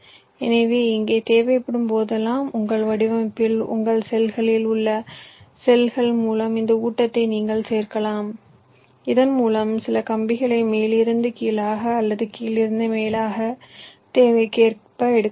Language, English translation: Tamil, so, ah, so here, whenever required, you can include this feed through cells in your design, in your cells, so that you can take some words from the top to bottom or bottom to top, as required